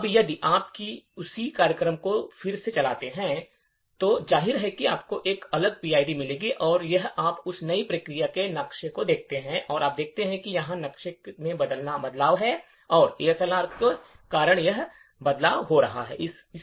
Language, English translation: Hindi, Now, if you run that same program again obviously you would get a different PID and if you look at the maps for that new process you would see that it is a change in the address map and this change is occurring due to ASLR